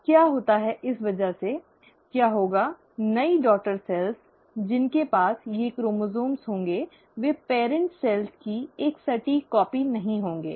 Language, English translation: Hindi, Now what happens is, because of this, what will happen is the new daughter cells, which will have these chromosomes will not be an exact copy of the parent cells